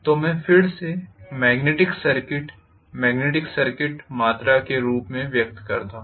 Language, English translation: Hindi, So this I can again express it in the terms of magnetic circuits, magnetic circuit quantity